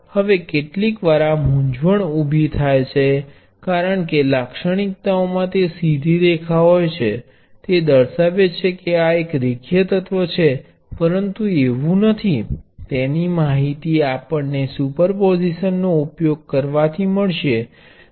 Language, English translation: Gujarati, Now sometimes this confusion arises that because the characteristics consist of a straight line this is a linear element, but it is not, that we can check while trying to apply superposition